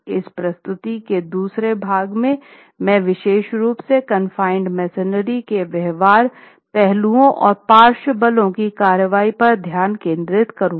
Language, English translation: Hindi, The second half of this presentation I would like to focus on the behavioral aspects of confined masonry construction, particularly under the action of lateral forces